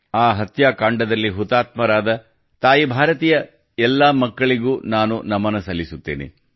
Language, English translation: Kannada, I salute all the children of Ma Bharati who were martyred in that massacre